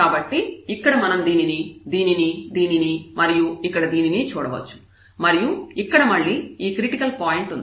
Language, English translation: Telugu, So, we can see like this one this one this one this one and again here there is a critical point